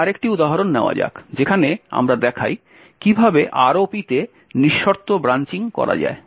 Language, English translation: Bengali, Now let us take another example where we demonstrate how unconditional branching can be done in ROP